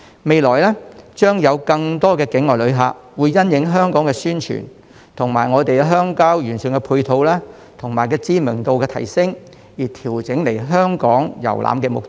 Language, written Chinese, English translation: Cantonese, 未來將有更多境外旅客會因應香港的宣傳，以及我們鄉郊完善的配套、鄉郊景點知名度的提升而調整來港遊覽的目的。, In the future more overseas tourists will adjust the purpose of their visits to Hong Kong in response to our publicity efforts the improvement in our supporting facilities in the rural areas and the enhanced popularity of our rural attractions